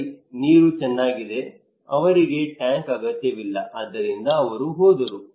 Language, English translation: Kannada, Okay, my water is good actually I do not need tank, so he left okay